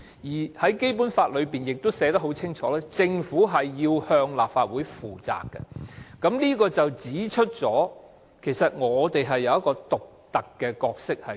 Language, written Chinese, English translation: Cantonese, 此外，《基本法》亦清楚訂明，政府須向立法會負責，這正好指出立法會扮演一個獨特的角色。, What is more the Basic Law also clearly provides that the Government should be accountable to the Legislative Council which precisely highlights the unique role to be played by the Legislative Council